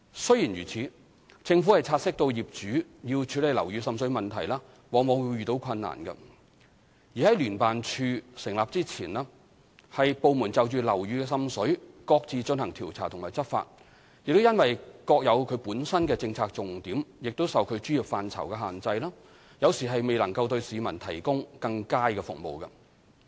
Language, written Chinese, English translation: Cantonese, 雖然如此，政府察悉到業主要處理樓宇滲水問題往往會遇到困難；而在聯合辦事處成立前由部門就樓宇滲水各自進行調查和執法，亦因各有其政策重點受其專業範疇限制，有時未能對市民提供更佳服務。, Nevertheless the Government recognized that owners will encounter difficulties in dealing with water seepage problems . Before the setting up of the Joint Office JO the investigation and enforcement actions taken by different departments according to their respective policy focus and professional expertise sometimes rendered us unable to provide better services to the public